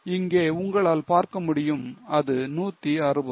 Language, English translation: Tamil, You can see here it was 160, now it has become 335